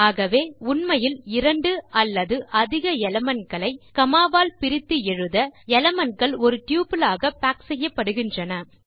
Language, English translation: Tamil, So when we are actually typing 2 or more elements separated by comma the elements are packed into a tuple